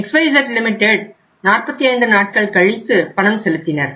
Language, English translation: Tamil, And for XYZ Limited they made the payment after 45 days